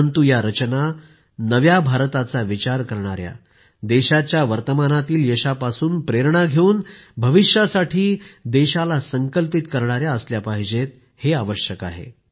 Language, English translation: Marathi, But it is essential that these creations reflect the thought of new India; inspired by the current success of the country, it should be such that fuels the country's resolve for the future